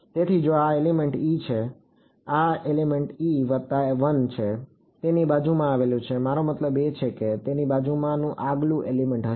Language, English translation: Gujarati, So, if this is element e this is element e plus 1, adjacent to it is going to be I mean the next element next to it